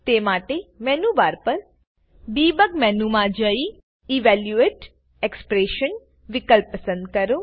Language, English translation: Gujarati, So let me go to the Debug menu in the menu bar, and select Evaluate expression option